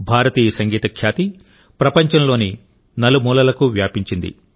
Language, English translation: Telugu, The fame of Indian music has spread to every corner of the world